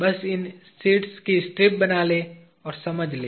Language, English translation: Hindi, Just make strips of these sheets and get an understanding